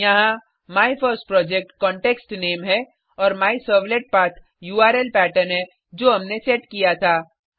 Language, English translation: Hindi, Here MyFirstProject is the context name and MyServletPath is the URL Pattern that we had set